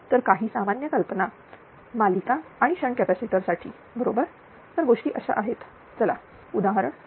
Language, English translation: Marathi, So, these are ah some general ideas for series and shnt capacitor right that how things are now, let us take the example